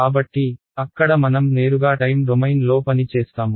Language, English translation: Telugu, So, there we will work directly in the time domain ok